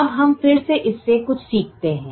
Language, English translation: Hindi, now we again learn something from this